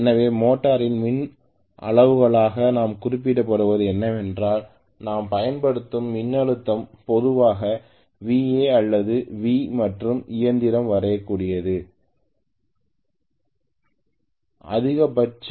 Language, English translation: Tamil, So in the motor what we specify as electrical quantities will be what is the voltage I am applying that is VA or V in general and what is the maximum line current the machine can draw